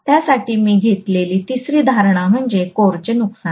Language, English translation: Marathi, The third assumption I am making is the core losses are 0